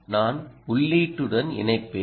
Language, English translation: Tamil, i will connect to the input